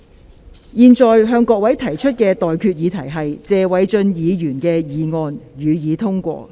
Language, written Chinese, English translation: Cantonese, 我現在向各位提出的待決議題是：謝偉俊議員動議的議案，予以通過。, I now put the question to you and that is That the motion moved by Mr Paul TSE be passed